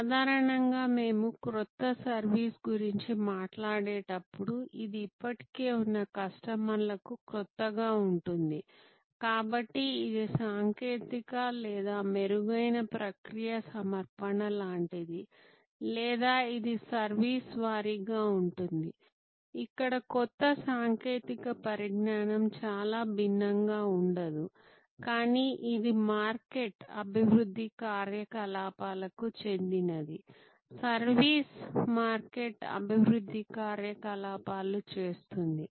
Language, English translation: Telugu, Normally, when we talk about new service it can therefore, either be new to the existing customers, so this is the more like a technological or process enhanced offering or it can be service wise not very different not much of new technology development here, but it say market development activity service market development activity